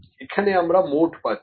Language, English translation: Bengali, So, we have mode here